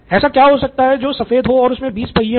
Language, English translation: Hindi, What is white and has 20 wheels